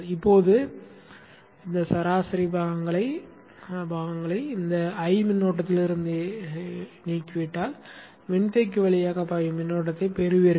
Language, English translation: Tamil, Now if remove this average component from this i current you will get the current that flows through the capacitance